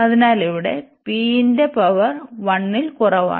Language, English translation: Malayalam, So, here the p the power is less than 1